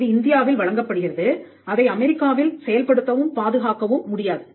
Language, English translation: Tamil, So, you have a patent which is granted in India cannot be enforced or protected in the United States